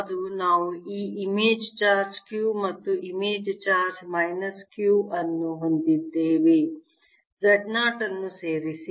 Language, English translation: Kannada, is it that we have this image charge q and image charge minus q